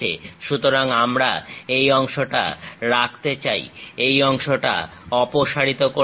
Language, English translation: Bengali, So, we want to retain that part, remove this part